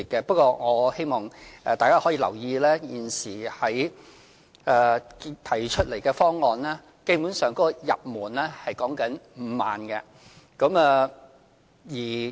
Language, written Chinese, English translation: Cantonese, 不過，我希望大家可以留意，現時提出的方案，基本的入門條件是5萬元。, Nevertheless I hope Members can note the fact that according to the present proposal the basic entry requirement is 50,000